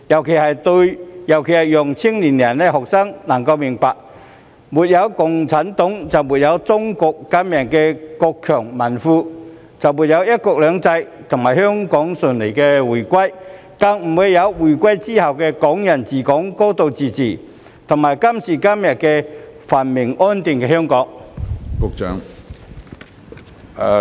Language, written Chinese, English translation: Cantonese, 此舉尤其可讓青年人和學生明白，沒有共產黨就沒有中國今日的國強民富，也沒有"一國兩制"和香港順利回歸，更不會有回歸後的"港人治港"、"高度自治"，以及今時今日繁榮安定的香港。, These are particularly useful in helping young people and students understand that without CPC China would not have risen to become a strong and rich country today nor would there have been one country two systems and Hong Kongs smooth return to the Motherland not to mention Hong Kong people administering Hong Kong a high degree of autonomy after the return of Hong Kong and the prosperity and stability of Hong Kong today